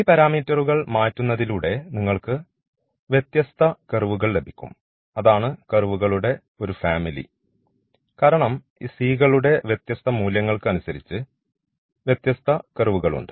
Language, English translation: Malayalam, So, changing these parameters you will get different different curves here, that is what it is a family of the curves because different values of this c’s we have a different curve